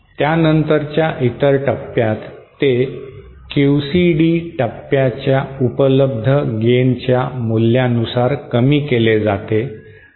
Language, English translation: Marathi, Other subsequent stages are scaled down by the value of the available gain of the QCD stage